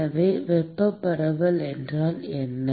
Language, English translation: Tamil, So, what is thermal diffusivity